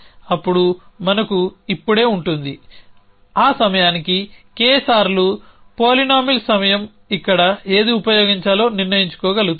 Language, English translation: Telugu, Then we will just have now, K times that time polynomial time will be able to decide on which 1 to use here